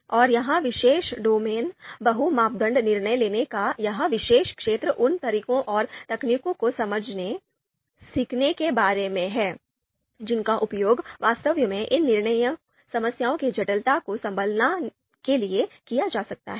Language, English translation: Hindi, And this particular domain, this particular area of multi criteria decision making is about understanding, learning those methods and techniques, which can actually be used to you know handle the complexity of these decision problems